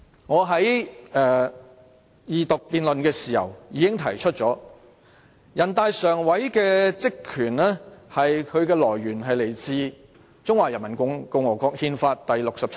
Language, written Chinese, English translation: Cantonese, 我在二讀辯論時已經提出，人大常委會的權力是來自《中華人民共和國憲法》第六十七條。, I pointed out during the Second Reading debate that the power of NPCSC is derived from Article 67 of the Constitution of the Peoples Republic of China